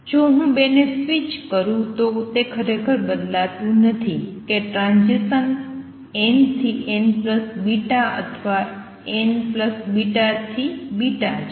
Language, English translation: Gujarati, If I switch the 2, right, it does not really change whether transition is from n to n plus beta or n plus beta 2 beta